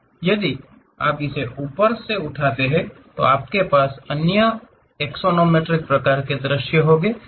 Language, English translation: Hindi, If you lift it further up, you will have it other axonometric kind of views